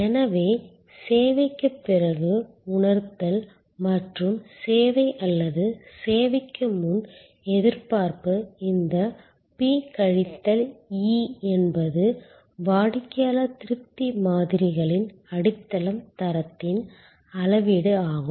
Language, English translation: Tamil, So, perception after service and expectation before service or in service this P minus E is the measure of quality is the foundation of customer satisfaction models